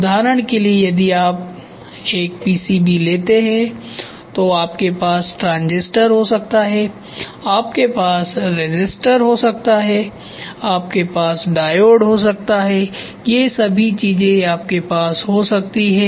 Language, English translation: Hindi, For example, if you take a PCB you can have transistor, you can have resistor, you can have diode, all these things, you can have that is what they say